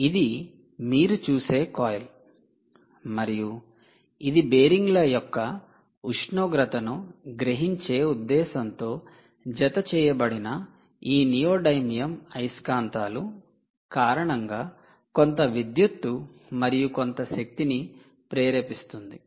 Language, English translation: Telugu, ok, this is a coil, this is essentially a coil, and it is actually inducing a certain electricity, certain amount of energy, because of these neodymium magnets which are attached for the purposes of sensing the temperature of the bearings